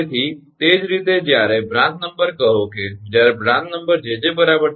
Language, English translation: Gujarati, so, similarly, ah, similarly, when uh branch number, say when ah branch number jj is equal to three, right